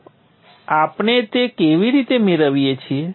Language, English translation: Gujarati, So how we get that is like this